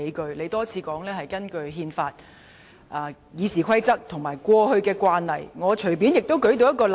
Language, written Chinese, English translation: Cantonese, 主席多次表示根據《基本法》、《議事規則》和過去的慣例作決定，我隨便也可舉出一個例子。, The President has mentioned time and again that the decision was made in accordance with the Basic Law RoP and previous practices and I can easily cite an example